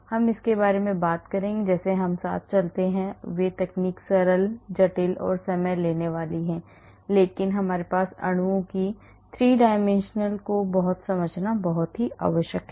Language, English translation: Hindi, We will talk about it as we go along , and those techniques are simple, complicated and time consuming, but it is very essential for us to understand the 3 dimensional conformation of molecules